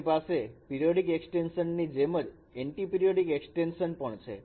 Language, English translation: Gujarati, Like periodic extension, we can have anti periodic extension